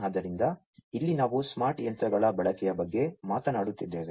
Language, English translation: Kannada, So, here we are talking about use of smart machines